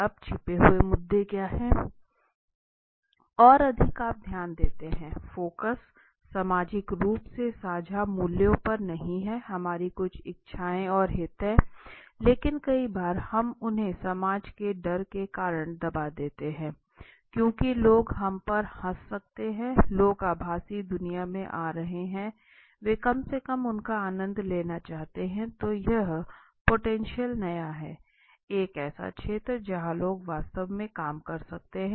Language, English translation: Hindi, Now are the hidden issues okay, so now if you see the focus is not a socially shared values now in life as I said, we have certain desires we have certain interests, but some many of times we suppress them because of the fear of the society, because that people might laugh at us and certain things, so that is how I said there is a you know people are coming in the virtual world they want to at least enjoy them whatever they want to and all these things, right so that is the great potential is a new, is an area where people can really companies can work on